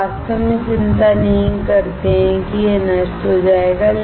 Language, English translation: Hindi, We do not really worry that it will get destroyed